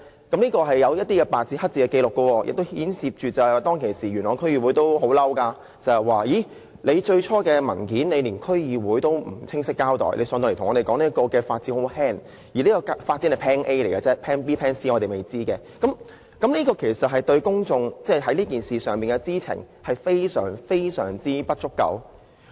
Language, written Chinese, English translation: Cantonese, 這是白紙黑字的紀錄，而當時元朗區議會也很憤怒，因為最初的文件並沒有向區議會清晰交代，其後又向區議會說發展的影響很輕微，而且當時只是 plan A， 還有 plan B 及 plan C 仍屬未知之數，公眾對此事所知的實在非常不足夠。, That was a black - and - white record . The Yuen Long District Council was also furious at that time because the initial document had not clearly explained the development plan and officials later told the District Council that the impact of the development would be minimal . Moreover at that time only plan A was available while plan B and plan C were still uncertain